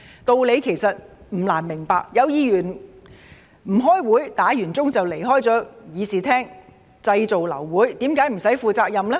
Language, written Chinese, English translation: Cantonese, 道理其實不難明白，有議員不開會，響鐘後便離開議事廳，製造流會，為何無須負責任呢？, The reason is in fact not difficult to understand . When Members caused a meeting to be aborted by not attending the meeting or leaving the Chamber after the bell had rung why shall they not be held responsible?